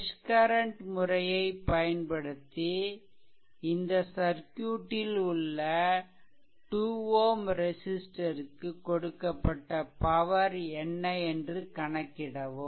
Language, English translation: Tamil, So, using mesh current method determine power delivered to the 2, 2 ohm register in the circuit